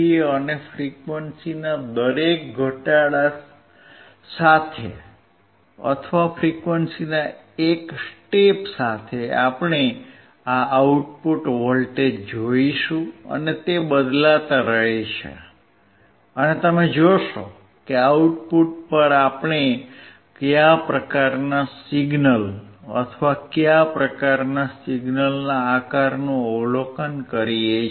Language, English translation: Gujarati, And with each decrease of frequency, we will or a step of frequency, we will see this output voltage which keeps changing, and you will see what kind of signal or what kind of the shape of signal we observe at the output